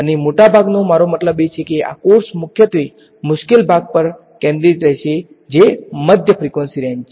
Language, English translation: Gujarati, And most of I mean this course will be focused mostly on the difficult part which is mid frequency range